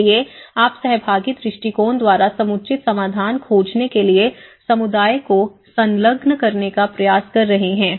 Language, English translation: Hindi, So, you are trying to engage the community to find the appropriate solutions by a participatory approaches